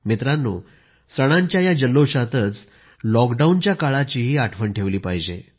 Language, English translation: Marathi, Amid the gaiety of festivities, we should spare a thought for the lockdown period